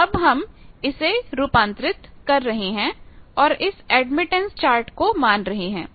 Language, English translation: Hindi, So, we are converting Y L and consider this as admittance chart